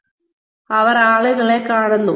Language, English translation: Malayalam, We see people